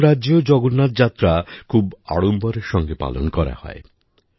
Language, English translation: Bengali, In other states too, Jagannath Yatras are taken out with great gaiety and fervour